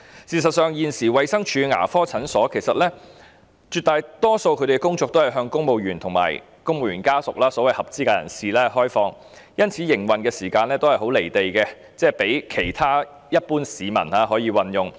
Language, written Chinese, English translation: Cantonese, 事實上，現時衞生署牙科診所絕大多數的工作均是向公務員和公務員家屬這些所謂合資格人士提供服務，因此，營運時間都較為"離地"，其他一般市民難以使用。, In fact a predominant part of the work of DHs dental clinics is to provide services for civil servants and their families who are the so - called eligible persons . Therefore the operational hours are rather detached from reality and it is difficult for other members of the general public to use their services